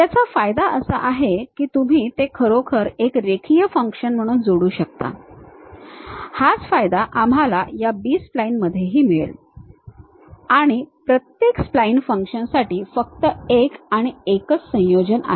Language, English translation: Marathi, The advantage is you can really add it up as a linear function, that is the advantage what we will get with this B splines, and there is only one unique combination for each spline function